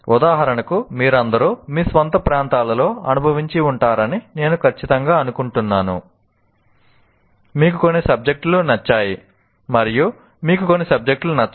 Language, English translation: Telugu, For example, I'm sure all of you experience in your own areas, you like some subjects, you don't like some subjects